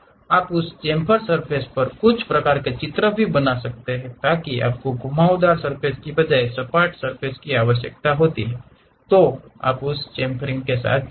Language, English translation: Hindi, You want to stick some kind of pictures on that chamfer surfaces so you require flat surface rather than a curved surface, then you go with that chamfering